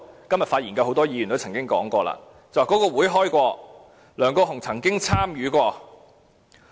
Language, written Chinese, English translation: Cantonese, 今天發言的很多位議員也曾經說過，這個會議有召開，梁國雄議員曾經參與過。, Actually according to those Members having spoken today the meeting did have taken place and was attended by Mr LEUNG Kwok - hung